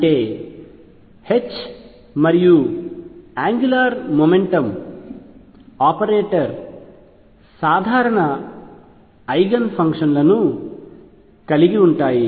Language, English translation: Telugu, That means, that the H and angular momentum operator have common eigen functions